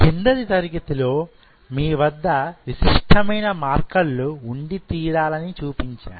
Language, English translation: Telugu, What I showed you in the last class, that you have to have those unique markers